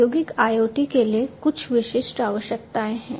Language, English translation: Hindi, For industrial IoT there are certain specific requirements